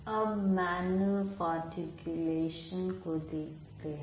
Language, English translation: Hindi, Now look at manner of articulation